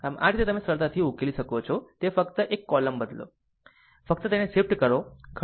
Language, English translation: Gujarati, So, this way you can easily solve, it just replace one column just shift it, right